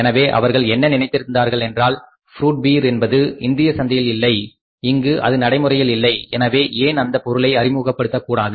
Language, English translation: Tamil, So, they thought that fruit beer is not existing in this market, it is not very prevalent in the Indian market